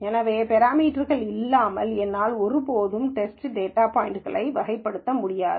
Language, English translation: Tamil, So, without these parameters I can never classify test data points